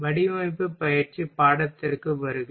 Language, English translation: Tamil, Welcome to the course of Design Practice